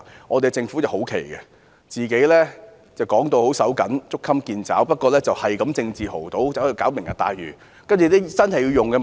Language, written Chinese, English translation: Cantonese, 我們的政府很奇怪，經常稱財政緊絀、捉襟見肘，不過卻政治豪賭，搞"明日大嶼"計劃。, Our Government behaves very strangely . It often says that we have a tight budget and it is difficult to make ends meet but it has placed a huge political bet in introducing the Lantau Tomorrow project